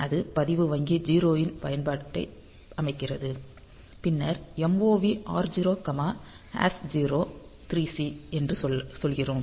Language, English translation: Tamil, So, so, that sets that usage of register bank 0 and then we are telling that mov r0 comma 0 x three C